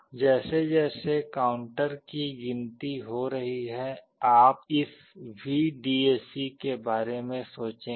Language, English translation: Hindi, As the counter is counting up you think of this VDAC